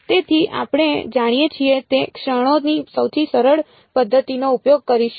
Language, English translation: Gujarati, So, we will use the simplest method of moments that we know